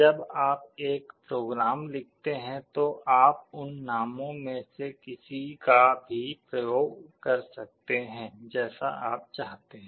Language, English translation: Hindi, When you write a program, you can use any of those names as you want